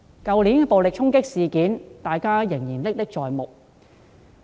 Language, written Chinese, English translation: Cantonese, 去年的暴力衝擊事件，大家仍然歷歷在目。, The violent clashes that occurred last year were still vivid in our mind